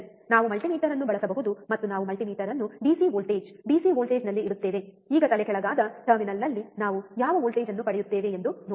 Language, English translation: Kannada, We can use the multimeter and we keep the multimeter at the DC voltage, DC voltage, now let us see what voltage we get at the inverting terminal